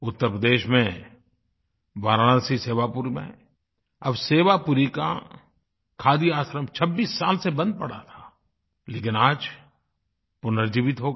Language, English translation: Hindi, Sewapuri Khadi Ashram at Varanasi in Uttar Pradesh was lying closed for 26 years but has got a fresh lease of life now